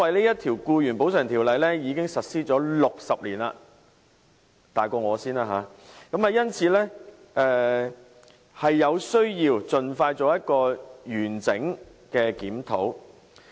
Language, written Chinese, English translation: Cantonese, 因為這項《僱員補償條例》已經實施了60年——比我還要年長，因此有需要盡快進行完整的檢討。, It is because the Employees Compensation Ordinance has been implemented for 60 years which is even older than I am . It is therefore necessary to conduct a holistic review as soon as possible